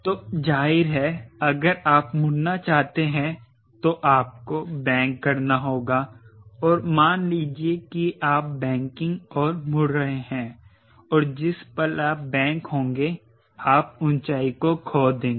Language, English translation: Hindi, so obviously, if you want to turn, you have to bank, and what you are banking and turning, the moment you bank, it will lose the height